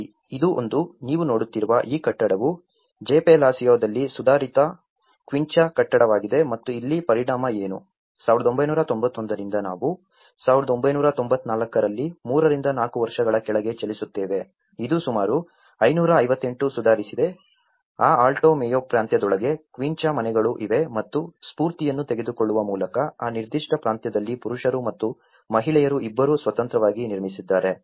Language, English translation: Kannada, See, this is one of the, this building what you are seeing is an improved quincha building in Jepelacio and here what is the impact, by from 1991 we move on to 3 to 4 years down the line in 1994, it has about 558 improved quincha houses within that Alto Mayo province and there are also, by taking the inspiration there are many have been built in that particular province independently by both men and women